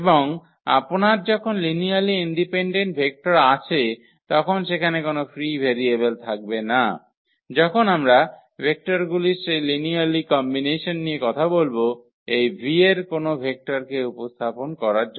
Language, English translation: Bengali, And when you have linearly independent vectors there will be no free variable when we talk about that linear combination of the given vectors to represent a vector from this V